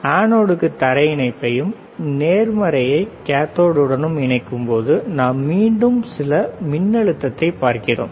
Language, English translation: Tamil, Let us see when we are connecting positive to anode ground to cathode we are again looking at the some voltage right